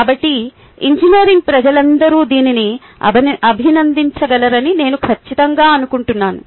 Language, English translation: Telugu, so i am sure all engineering ah people would be able to appreciate it